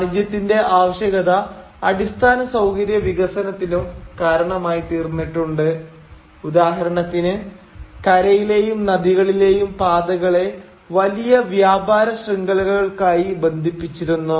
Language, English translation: Malayalam, The necessity of commerce had also started resulting in the development of infrastructure, for instance, wherein land and river routes were being linked to form large trade networks